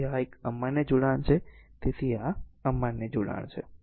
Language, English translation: Gujarati, So, this is an invalid connection so, this is invalid connection